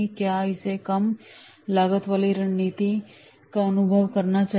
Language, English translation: Hindi, Should it pursue a low cost strategy